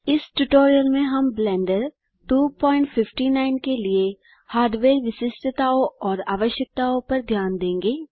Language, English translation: Hindi, In this tutorial, we shall look at the hardware specifications and requirements for Blender 2.59